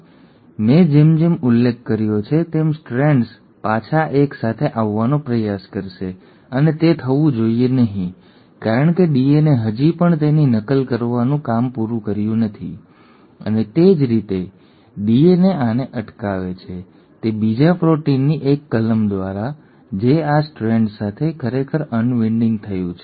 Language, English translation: Gujarati, Now as I mentioned the strands will try to come back together and that should not happen because the DNA has still not finished its job of replicating it and the way DNA prevents this is by a clause of another proteins which as soon as the unwinding has happened bind to these strands